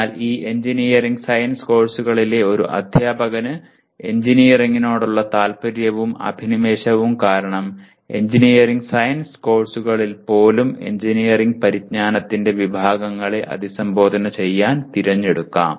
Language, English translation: Malayalam, But a teacher of this engineering science courses may choose because of his interest and passion for engineering may choose to address some categories of engineering knowledge even in engineering science courses